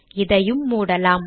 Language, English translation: Tamil, Let me close this also